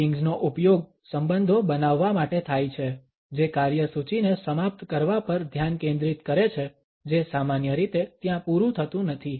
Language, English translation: Gujarati, Meetings are used for building relationships the focus on finishing the agenda is not typically over there